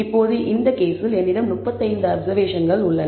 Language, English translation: Tamil, Now, in this case I have 35 observations